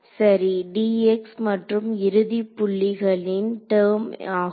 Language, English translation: Tamil, Correct dx and the end points term ok